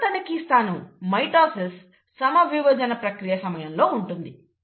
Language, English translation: Telugu, The third checkpoint is actually in the process of mitosis